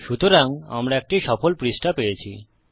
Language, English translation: Bengali, So we get a successful page